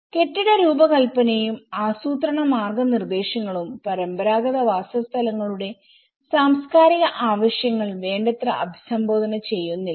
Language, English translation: Malayalam, Building design and planning guidelines does not sufficiently address the cultural needs of traditional settlements